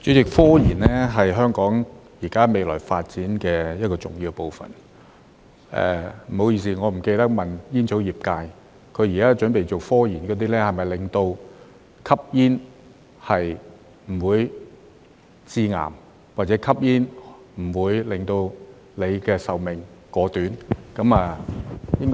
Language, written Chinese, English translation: Cantonese, 主席，科研現時是香港未來發展的一個重要部分......不好意思，我忘了問煙草業界，他們現時準備進行的科研是否關於令吸煙不會致癌，或令吸煙不會縮短壽命？, Chairman scientific research is an important part of the future development of Hong Kong I am sorry that I forgot to ask the tobacco industry if the scientific research they are now going to undertake is to make smoking non - carcinogenic or not life - shortening